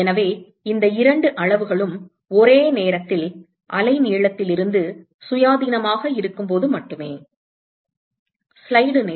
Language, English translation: Tamil, So, only when these two quantities are simultaneously independent of the wavelength right